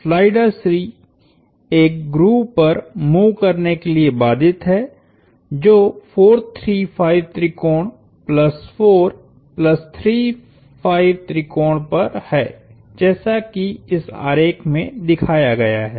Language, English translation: Hindi, The slider C is constrained to move on a grove that is on a 4, 3, 5 triangle, plus 4 plus 3, 5 triangle as shown in this figure